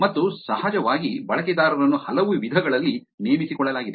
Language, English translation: Kannada, And of course, users were recruited in multiple ways